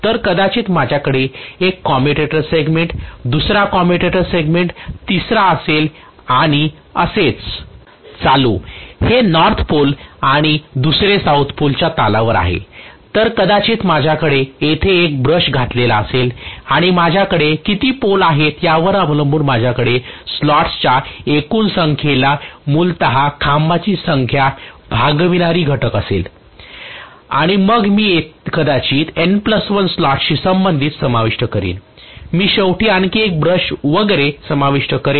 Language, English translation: Marathi, So maybe I have one commutator segment second commutator segment third and so on this is at the cusp of the North Pole and the other South Pole, So I will probably have one brush inserted here and depending upon how many poles I had I will have essentially the number of poles will be, you know, dividing factor for the total number of slots and then I will insert probably corresponding to the N plus 1 slot I will eventually include one more brush and so on and so forth